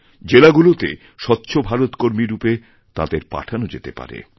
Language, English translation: Bengali, They can also be sent to various districts as Swachchha Bharat Fellows